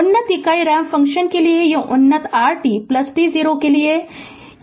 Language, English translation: Hindi, For the advanced unit ramp function right, this is for advanced r t plus t 0